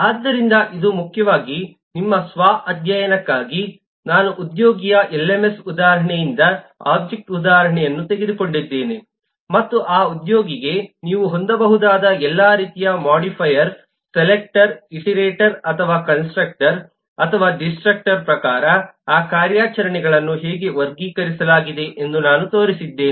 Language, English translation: Kannada, I have taken the eh an object instance from the lms example, an employee, and I have shown that for that employee, all that different kind of some of the operations that you can have, how those operations are classified according to being a modifier, being a selector, being an iterator or being a constructor or being a destructor